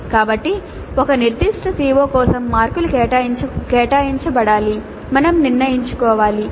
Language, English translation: Telugu, So marks to be allocated to for COO for a particular COO that we must decide